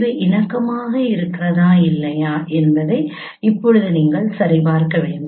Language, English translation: Tamil, Now you have to check whether they are compatible or not